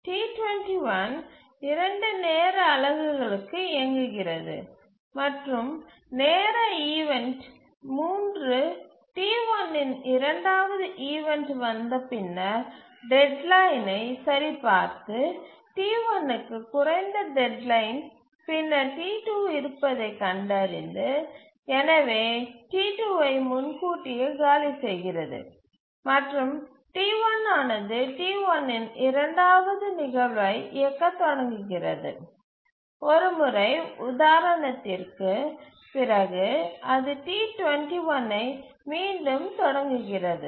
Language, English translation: Tamil, 1 executes for two time units and at time two, sorry, time instance 3, the second instance of T1s arrives and then checks the deadline and finds that T1 has lower deadline than T2 and therefore preempts T2 and T1 starts running the second instance of T1